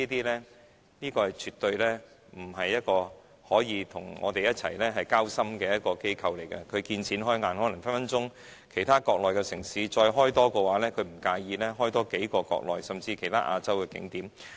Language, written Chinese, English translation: Cantonese, 迪士尼集團絕不是一個向我們交心的機構，它見錢開眼，可能隨時會在國內其他城市再開設樂園，也不會介意多建幾個樂園，甚至在其他亞洲地區開發景點。, The Walt Disney Company will never be loyal to us . Its only concern is money . It may build a Disneyland in any Mainland city anytime and it does not mind building a few more theme parks or even open up new tourist attractions in other Asian areas